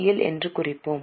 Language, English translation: Tamil, So we will mark it as CL